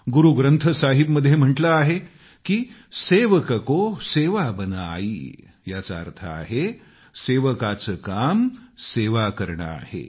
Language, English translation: Marathi, It is mentioned in Guru Granth Sahib "sevak ko seva bun aayee", that is the work of a sevak, a servant is to serve